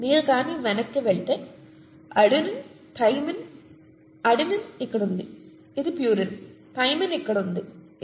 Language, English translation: Telugu, Adenine, thymine; if you go back, adenine is here which is a purine, thymine is here which is a pyrimidine, okay